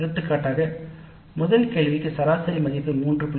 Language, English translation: Tamil, Like for example for the first question the average value was 3